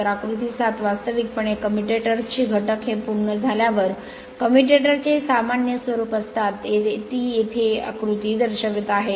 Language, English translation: Marathi, So, figure 7 actually components of a commutators is a general appearance of a commutator when completed it is showing here right this figure